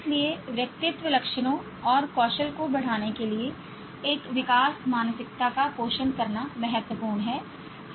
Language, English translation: Hindi, So it's important to nurture a growth mindset to keep enhancing personality traits and skills